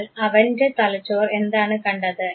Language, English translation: Malayalam, So, what did his brain see